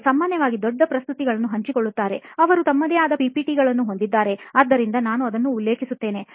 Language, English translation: Kannada, They generally share big presentations; they have their own PPT, so that is something which I refer to